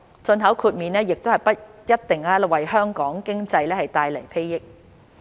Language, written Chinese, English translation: Cantonese, 進口豁免亦不一定能為香港經濟帶來裨益。, The exemption for import may not necessarily benefit the Hong Kong economy either